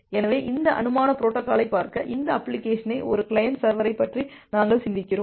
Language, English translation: Tamil, So, to look in to this hypothetical protocol we are thinking of a client server this application